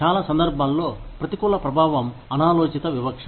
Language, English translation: Telugu, Adverse impact, in most cases is, unintentional discrimination